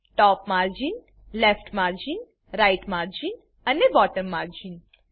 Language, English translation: Gujarati, Top margin, Left margin, Right margin and Bottom margin